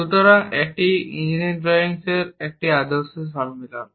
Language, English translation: Bengali, So, this is a standard convention in engineering drawing